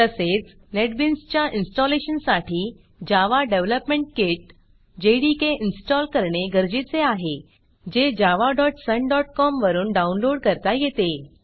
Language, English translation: Marathi, The installation of Netbeans also requires the installtion of the Java Development Kit, which can be downloaded from java.sun.com